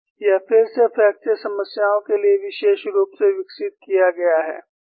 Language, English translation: Hindi, This is again developed, particularly for fracture problems